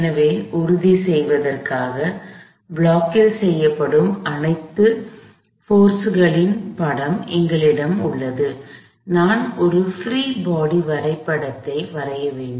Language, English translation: Tamil, So, in order to make sure, I have a picture of all the forces acting on the block, I have to draw a free body diagram